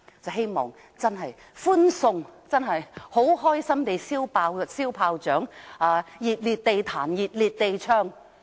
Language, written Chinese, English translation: Cantonese, 我希望真的歡送他，開心地放鞭炮，"熱烈地彈琴熱烈地唱"。, I hope we can really bid him farewell set off fire crackers in celebration and play the piano and sing heartily